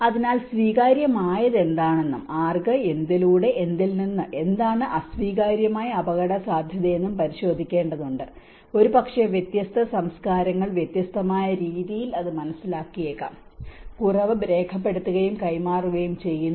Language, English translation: Malayalam, So, one has to really look into what is acceptable, to whom, by what, from what and what is an unacceptable risk, maybe different cultures perceive that in a different way, and less is very documented and transferred